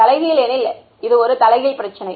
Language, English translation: Tamil, Inverse because it is an inverse problem